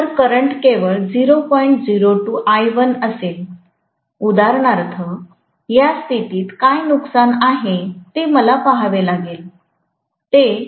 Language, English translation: Marathi, 02 times I1 for example and I have to see what is the loss at this condition, it will be 0